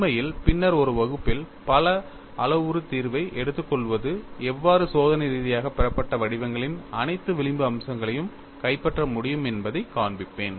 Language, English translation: Tamil, In fact, in a class, later, I would show how taking a multi parameter solution can capture all the fringe features of the experimentally obtained patterns